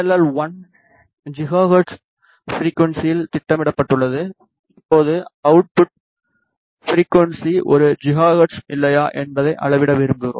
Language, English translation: Tamil, Let us power on the board this PLL has been programmed at a frequency of 1 gigahertz, now we wish to measure whether the output frequency is one gigahertz or not